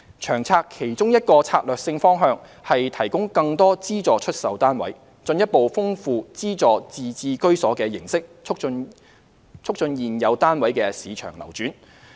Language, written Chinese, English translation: Cantonese, 《長策》其中一個策略性方向，是提供更多資助出售單位，進一步豐富資助自置居所的形式，促進現有單位的市場流轉。, One of the strategic directions of LTHS is to provide more subsidized sale flats SSFs further expand the forms of subsidized home ownership and facilitate market circulation of existing residential units